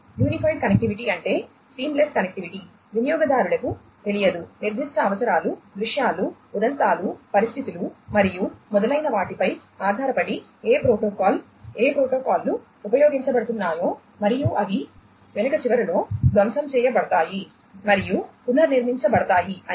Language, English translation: Telugu, Unified connectivity means what, that seamless connectivity users would not know how which protocol depending on the specific requirements, scenarios, instances, circumstances and so on, which protocols are being used and they are,you know, they are basically getting shuffled, reshuffled and so on at the back end